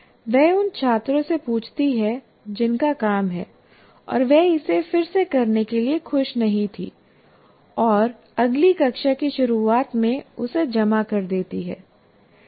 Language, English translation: Hindi, She asked the student whose work she was not happy with to redo it and submit to her at the start of the next class